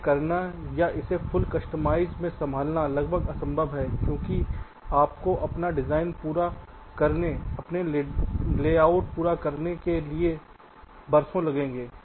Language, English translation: Hindi, doing it or handling it in a full customer is almost next to imposed, because it will take you years to create a design, to complete your design, complete your layout